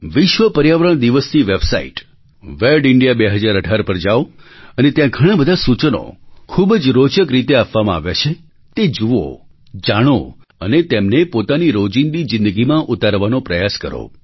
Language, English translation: Gujarati, Let us all visit the World Environment Day website 'wedindia 2018' and try to imbibe and inculcate the many interesting suggestions given there into our everyday life